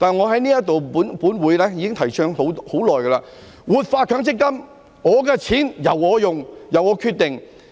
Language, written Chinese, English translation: Cantonese, 可是，我在本會上已經提倡了很久，就是要活化強積金，我的錢由我使用、由我決定。, Nevertheless I have long advocated in this Council that MPF should be revitalized . My money is to be used by me and the decision should be made by me